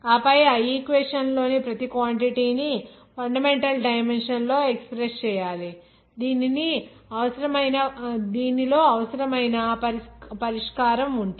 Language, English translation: Telugu, And then after that express each of the quantities in the equation in fundamental dimension in which is the solution required